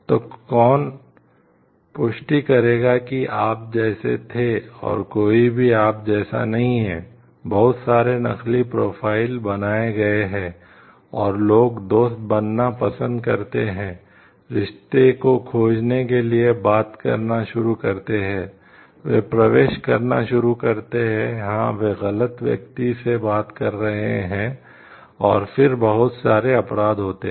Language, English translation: Hindi, So, who is going to authenticate like you were you and somebody else is not you, there are so, many fake profiles developed and people like become friends, start talking, enter into relationships to find like it, they have been talking to a wrong person and lots of crimes happen after that